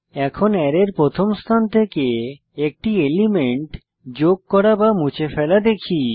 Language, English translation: Bengali, Now, let us see how to add/remove an element from the 1st position of an Array